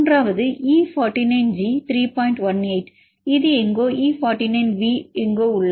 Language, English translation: Tamil, 18, its somewhere E49V somewhere here